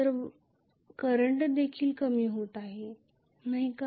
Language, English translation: Marathi, So the current is decreasing as well, is not it